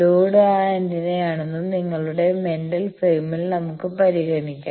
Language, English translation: Malayalam, Let us consider in your mental frame that the load is that antenna